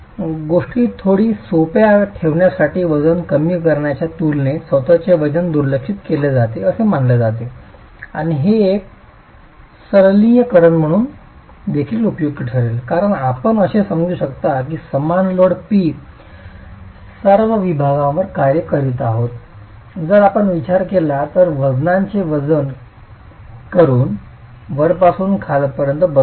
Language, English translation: Marathi, To keep things a little simple, the self weight is neglected is assumed to be very small in comparison to the superimposed load and this is also useful as a simplification because then you can assume that the same load P is acting at all sections if you consider the self weight that's going to be incrementally changing from the top to the bottom